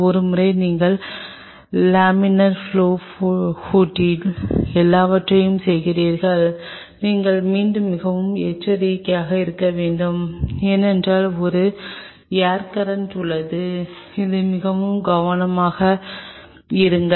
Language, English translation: Tamil, Once and you are doing everything inside the laminar flow hood so, you have to be again very cautious because there is an air current which is moving be very careful be very careful